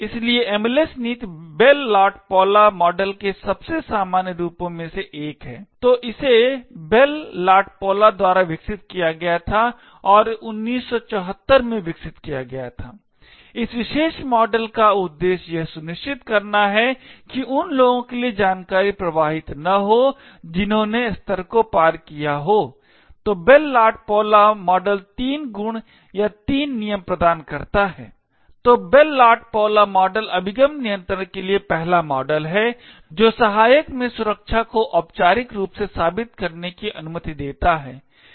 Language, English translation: Hindi, Bell LaPadula model, so this was developed by Bell and LaPadula and this was developed in 1974, the objective of this particular model is to ensure that information does not flow to those are cleared for that level, so the Bell LaPadula model provides three properties or three rules, so Bell LaPadula model is the first model for access control which allows to formally prove security in assistant